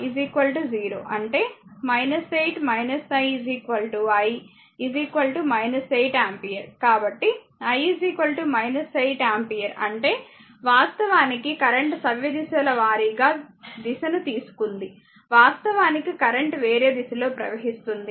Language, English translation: Telugu, So, when i is equal to minus 8 ampere means , actually current actually we have taken clock wise direction actually current at flowing in a other way